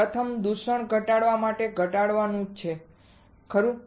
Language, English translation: Gujarati, First is to reduce to reduce contamination, right